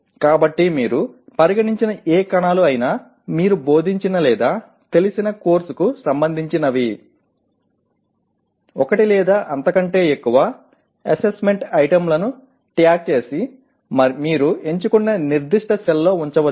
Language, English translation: Telugu, So whatever cells that you consider are relevant to the course that you have taught or familiar with write one or more assessment items that can be tagged and put in that particular cell that you have chosen